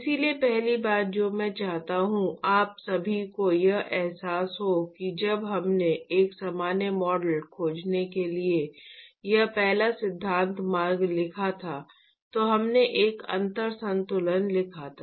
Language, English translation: Hindi, So, the first thing I want you all to realize is that when we wrote the this first principle route to find a general model, we wrote a differential balance